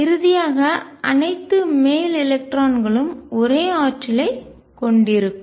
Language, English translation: Tamil, Finally until all the uppermost electrons have the same energy